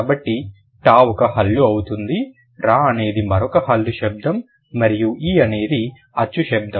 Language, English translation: Telugu, So, ter would be a consonant sound, raw is another consonant sound and e is a vowel sound, right